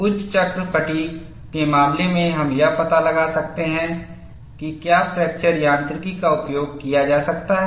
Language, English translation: Hindi, In the case of high cycle fatigue, we could find out whether fracture mechanics be used